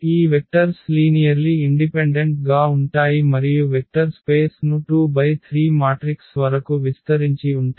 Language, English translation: Telugu, So, these vectors are linearly independent and span the vector space of 2 by 3 matrices